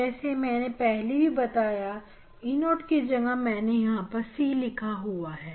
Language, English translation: Hindi, as I mentioned earlier, I wrote E 0 so now, I have written C